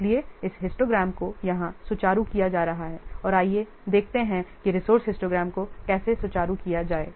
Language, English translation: Hindi, So this histogram is being what smoothened here and let's see how can smoothen the resource histograms